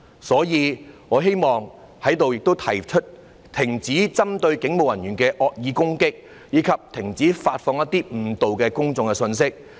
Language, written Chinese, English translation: Cantonese, 所以，我希望在這裏提出：停止針對警務人員的惡意攻擊，以及停止發放一些誤導公眾的信息。, Therefore here I wish to say Stop the malicious attacks targeted at police officers and stop disseminating messages that mislead the public